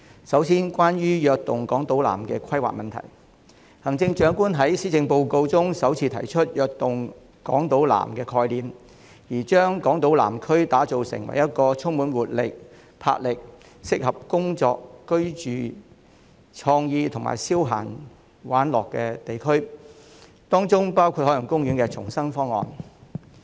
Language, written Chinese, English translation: Cantonese, 首先，關於"躍動港島南"的規劃，行政長官在施政報告中首次提出"躍動港島南"的概念，將港島南區打造成一個充滿活力、魄力，適合工作、居住、具創意及消閒玩樂的地區，當中包括海洋公園的重生方案。, First of all with regard to the planning of Invigorating Island South the Chief Executive proposed for the first time the Invigorating Island South initiative to develop the Southern District into a place full of vibrancy and vigour for people to work live explore new ideas and have fun . A proposal for the rebirth of Ocean Park is included . The Chief Executive stated that the experience gained from the Energizing Kowloon East initiative will be drawn on in implementing the Invigorating Island South